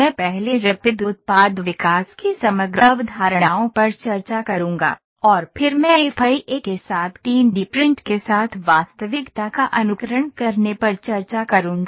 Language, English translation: Hindi, I will discuss the overall concepts of Rapid Product Development first, and then I will discuss simulating reality with of 3D print with FEA